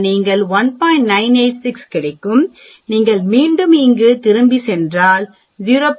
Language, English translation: Tamil, 986, if you again go back here 0